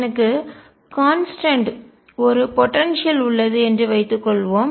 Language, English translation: Tamil, Suppose I have a potential which is constant